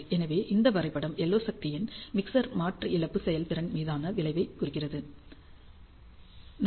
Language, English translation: Tamil, So, this graph represents the effect of LO power on the mixer conversion loss performance